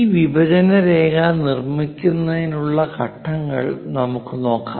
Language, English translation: Malayalam, Let us look at the steps involved in constructing this bisecting line